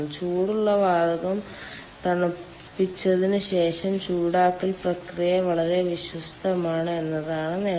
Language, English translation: Malayalam, the advantage is that the heating process is following the cooling of the hot gas very is ah faithful